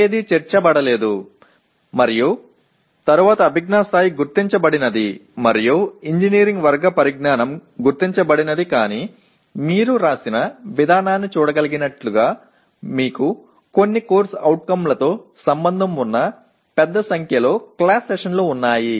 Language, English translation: Telugu, Nothing else is included and then cognitive level is identified and none of the engineering category knowledge are identified but as you can see the way it is written you have large number of class sessions associated with some of the COs